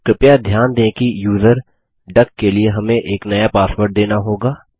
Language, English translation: Hindi, Please note that we will be prompted for a new password for the user duck